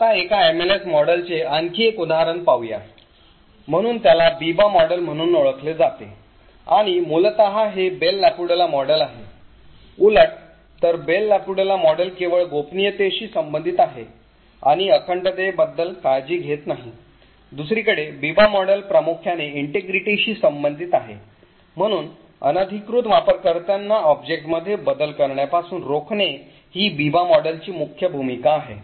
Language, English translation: Marathi, now so this is known as the Biba model and essentially it is the Bell LaPadula model upside down, while the Bell LaPadula model is only concerned with confidentiality and is not bothered about integrity, the Biba model on the other hand is mainly concerned with integrity, so the main role of the Biba model is to prevent unauthorized users from making modifications to an object